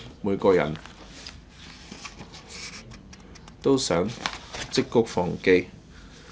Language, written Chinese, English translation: Cantonese, 每個人都會責罵他。, Everyone in Hong Kong will blame him too